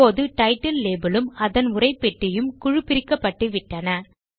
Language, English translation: Tamil, Now we see that the label title and its text box have been ungrouped